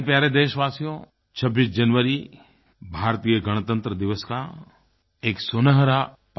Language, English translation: Hindi, My dear countrymen, 26th January is the golden moment in the life of Indian democracy